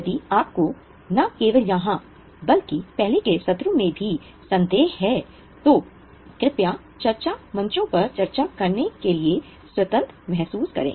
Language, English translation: Hindi, If you have a doubt in anything, not only here but even of the earlier items, please feel free to discuss it on discussion forums